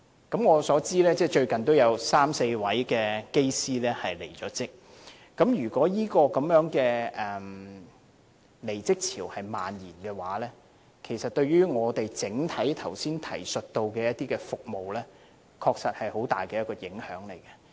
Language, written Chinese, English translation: Cantonese, 據我所知，最近也有三四位機師離職，如果這離職潮蔓延的話，其實對我剛才提及的服務，確實會有很大影響。, As I know three to four Pilots have resigned recently . If this wave of resignation spreads out it will have tremendous impact on the services that I mentioned earlier